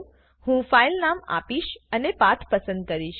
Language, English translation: Gujarati, I will give this filename and choose this path